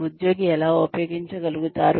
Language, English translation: Telugu, How the employee can use